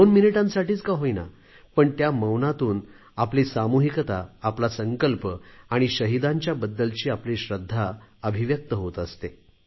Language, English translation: Marathi, This 2 minutes silence is an expression of our collective resolve and reverence for the martyrs